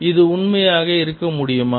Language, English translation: Tamil, is this true